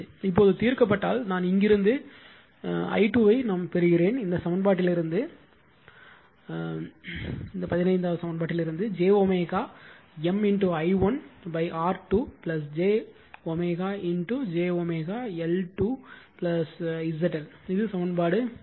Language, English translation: Tamil, Now if you solve I mean from here i 2 you are getting from this equation 15 j omega M i 1 upon R 2 plus j omega j omega L 2 plus Z L, this is equation 16